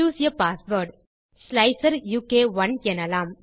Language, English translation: Tamil, Choose a password, lets say slicer u k 1